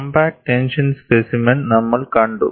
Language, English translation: Malayalam, We saw the compact tension specimen